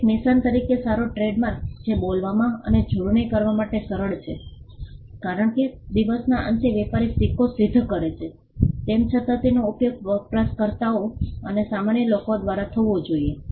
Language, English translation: Gujarati, A good trademark as a mark that is easy to speak and spell, because at the end of the day a trader though he coins the trademark it should be used by the users or the general public